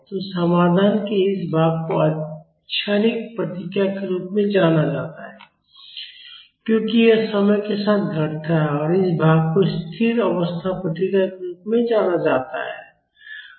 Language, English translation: Hindi, So, this part of the solution is known as transient response because this decays with time and this part is known as steady state response